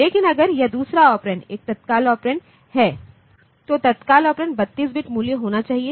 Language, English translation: Hindi, But if this second operand is an immediate operand then the immediate operand must be 32 bit value